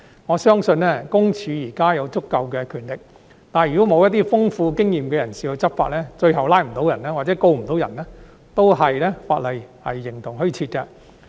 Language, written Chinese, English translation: Cantonese, 我相信，私隱公署現時有足夠權力，但如果欠缺一些有豐富經驗的人士執法，最後無法成功拘捕疑犯，或者告不入，法例也是形同虛設。, I believe that PCPD has sufficient powers now but if there is a lack of experienced people to enforce the law eventually resulting in failure to arrest suspects or secure convictions the legislation will likewise exist in name only